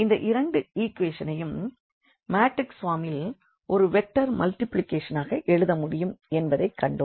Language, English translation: Tamil, So, we have seen that we had these two equations which we have also written in the form of this matrix a vector multiplication